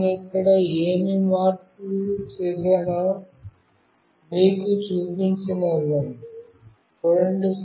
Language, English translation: Telugu, Let me let me show you, what change I have done here